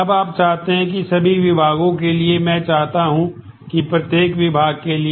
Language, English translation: Hindi, Now, you want that for all the departments for each department I want